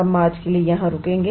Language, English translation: Hindi, We will stop here for today